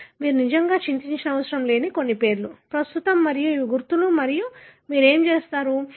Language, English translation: Telugu, Some names that that you need not really worry about, right now and these are the markers and what you do